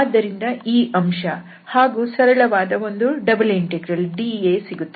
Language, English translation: Kannada, So that factor will be coming and then we have a simple double integral that is dA